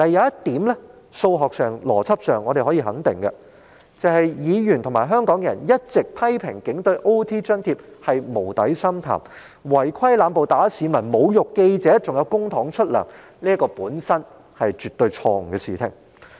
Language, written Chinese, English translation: Cantonese, 不過，在數學和邏輯上，我們可以肯定一點，議員和香港人一直批評警隊的加班津貼有如無底深潭，而在違規濫暴、毆打市民和侮辱記者之下，仍動用公帑向他們發薪，這本身是絕對錯誤的事情。, However mathematically and logically we can be sure about one thing Members and Hong Kong people have always criticized that the payment of overtime allowance within the Police Force is like a bottomless abyss and it is absolutely wrong to keep spending public money on police officers pay when malpractices involving the excessive use of violence beating up of ordinary citizens and hurling of insults at journalists have become widespread